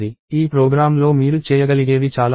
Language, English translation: Telugu, So, there are lots of things it you can do to this program